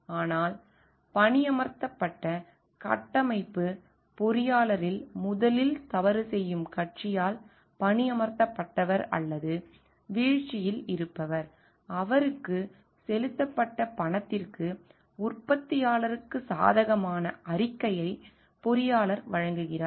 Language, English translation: Tamil, But in the hired structural engineer is one who is being hired by the party who is originally doing wrong or who is at fall so that the engineer gives a favorable report for the manufacturer for the money that was paid to him